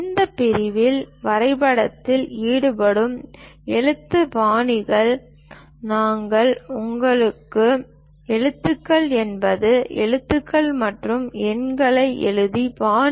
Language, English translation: Tamil, In this section, we cover what are the lettering styles involved for drawing; lettering is the style of writing alphabets and numerals